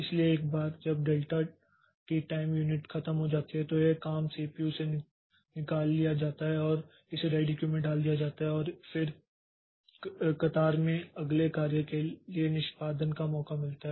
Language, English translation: Hindi, So, once that delta T time unit is over so this job is taken out of the CPU and it is put back onto the ready Q and then the next job in the queue gets a chance for execution